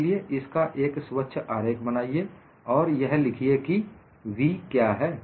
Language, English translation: Hindi, So, make a neat sketch of it and then write down what is v